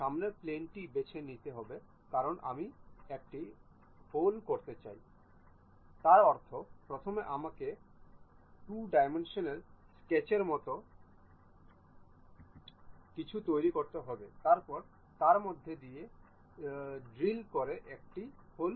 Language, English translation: Bengali, Pick the front plane because I would like to make a hole; that means, first I have to make something like a 2 dimensional sketch after that drill a hole through that